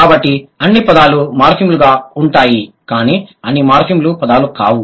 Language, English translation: Telugu, So, all morphemes, sorry, I'm sorry, all words are morphemes but not all morphemes are words